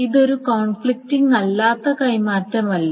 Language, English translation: Malayalam, Now is this a non conflicting swap